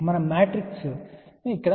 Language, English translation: Telugu, Let us open the matrix first